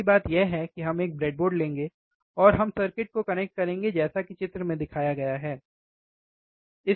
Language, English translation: Hindi, First thing is we will take a breadboard and we will connect the circuit as shown in figure, right